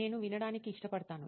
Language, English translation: Telugu, I prefer listening